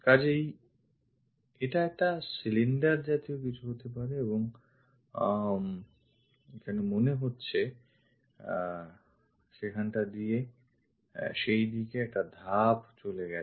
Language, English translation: Bengali, So, it is supposed to be cylindrical thing and looks like there might be a step passing in that direction